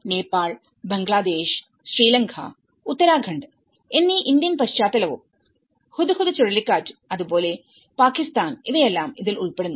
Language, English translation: Malayalam, So, all this they have been discussed in different cases including Nepal, Bangladesh and Sri Lanka, Uttarakhand, Indian context and as well as Hudhud cyclone and as well as Pakistan